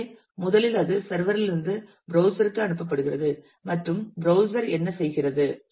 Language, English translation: Tamil, So, first it is sent by the sever to the browser and the what the browser does